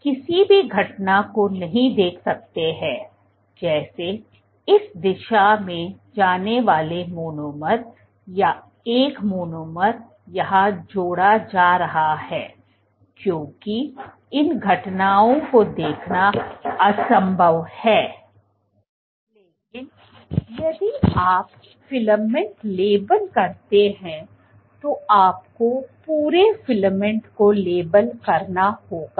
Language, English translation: Hindi, So, you cannot see any event let us say like a monomer going in this direction or a monomer being added here these events are impossible to see, but if you label the filament if you label the entire filament